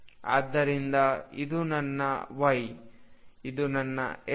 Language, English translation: Kannada, So, this is my y, this is x